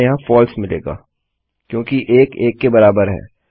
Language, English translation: Hindi, Well get False here because 1 is equal to 1